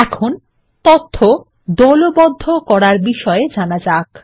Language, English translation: Bengali, Now let us learn about grouping information